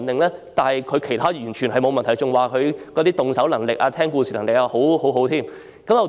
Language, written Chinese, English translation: Cantonese, 不過，他在其他方面完全沒問題，他的動手能力和聽故事能力也不錯。, However my son does not have any problem in other aspects . He is skilled with his hands and can listen to stories quite well